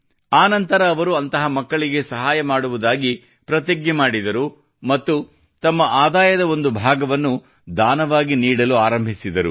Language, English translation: Kannada, After that, he took a vow to help such children and started donating a part of his earnings to them